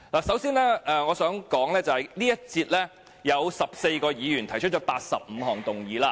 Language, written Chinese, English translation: Cantonese, 首先我想指出，在這項辯論中，有14位議員提出85項修正案。, First of all I would like to point out that in this debate 14 Members will propose 85 amendments